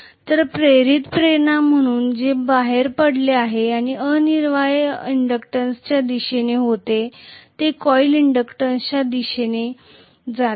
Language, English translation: Marathi, So what comes out as the induced emf e essentially is towards the inductance, it is going towards the inductance of the coil